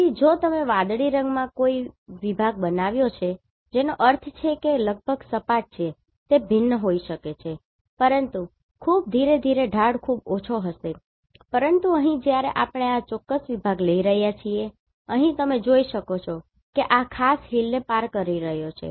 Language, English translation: Gujarati, So, if you have drawn a section here in the blue colour that means, it is almost flat it may be varying but very slowly the slope will be very less, but here, when we are taking this particular section, here, you can see it is crossing this particular Hill